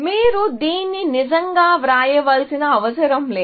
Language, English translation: Telugu, You do not have to really write this